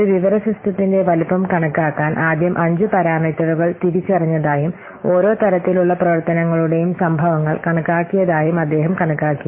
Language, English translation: Malayalam, So, in order to estimate the size of an information system, he has counted, he has first identified five parameters and counted the occurrences of each type of functionality